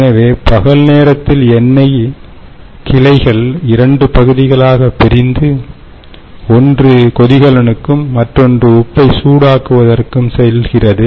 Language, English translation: Tamil, so during daytime the oil branches off into two parts: one goes to the stream, to the steam generator, and the other goes on to heat the salt